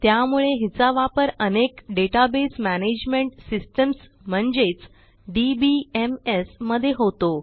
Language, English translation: Marathi, And so it is used in a variety of Database Management Systems or DBMS